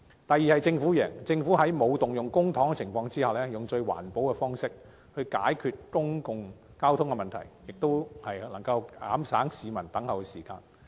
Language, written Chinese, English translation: Cantonese, 第二，政府贏，政府在沒有動用公帑的情況下，以最環保的方式，解決公共交通問題，亦能減省市民的輪候時間。, Second the Government will win . The Government can without resorting to public coffers resolve the public transport problems in the most environmental friendly way and shorten peoples waiting time for PLBs